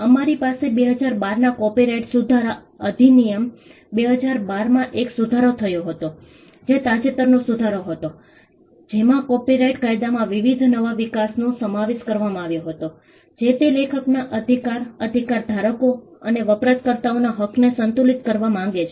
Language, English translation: Gujarati, We have an amendment in 2012 the copyright amendment Act, 2012 which was a recent amendment, which incorporated various new developments in copyright law it seeks to balance the rights of the author’s, right holders and the users